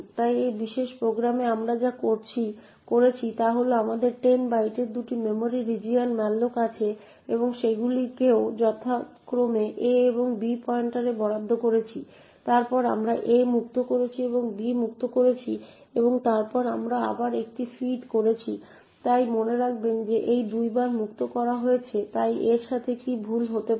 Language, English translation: Bengali, So in this particular program what we have done is that we have malloc two memory regions of 10 bytes each and allocated them to pointers a and b respectively then we have freed a we have freed b and then we have feed a again, so note that a is freed twice so what can go wrong with this first of all note that your compiler will not be able to determine that your free a is invoked twice, secondly you will also notice that ptmalloc two will not be able to determine that the memory chunk a is freed twice